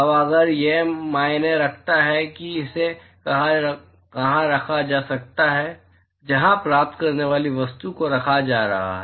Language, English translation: Hindi, Now if matters where it is being placed, where the receiving object is being placed